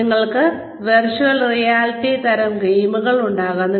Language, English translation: Malayalam, You could have, virtual reality type games